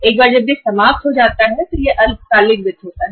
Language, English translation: Hindi, Once it is exhausted then it is the short term finance